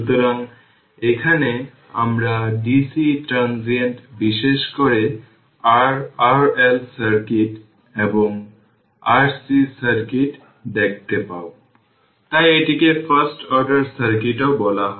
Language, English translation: Bengali, So, and here we will see the dc transient particularly the your ah R L circuit and R C circuit ah only the we will see that why it is called first order circuit also